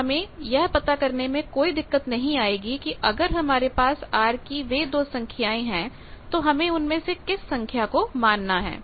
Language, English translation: Hindi, So, no confusion in locating the point if you just read those 2 values of r you will understand which 1 to take